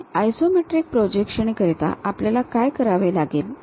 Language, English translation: Marathi, And for isometric projections, what we have to do